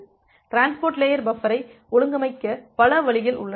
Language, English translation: Tamil, So, there are multiple ways you can organize the transport layer buffer